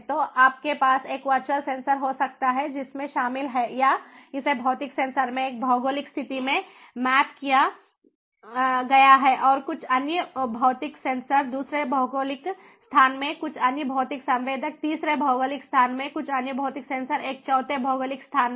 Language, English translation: Hindi, so you can have a virtual sensor which is comprised of, or it is mapped to, the physical sensors in one geographical location and some other physical sensors in another geographical location, some other physical sensor in a third geographical location, some other physical sensor in a fourth geographical location